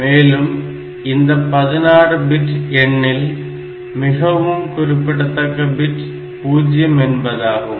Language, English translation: Tamil, So, this way that 16 bit number will go and the most significant digit there is 1